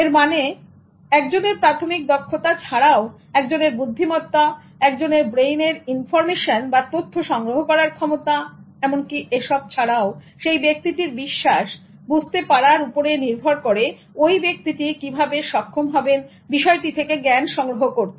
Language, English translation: Bengali, This means apart from one's basic skill set, one's intelligence, one's brains level of acquiring information, apart from this, the way a person is believing or understanding as how the person is able to gain, acquire knowledge about a subject